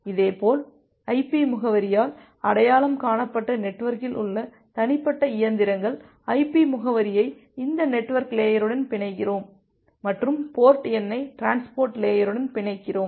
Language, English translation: Tamil, Similarly individual machines at the network that are identified by the IP address, so we bind the IP address with this network layer and we bind the port number with the transport layer